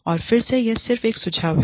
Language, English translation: Hindi, And again, this is just a suggestion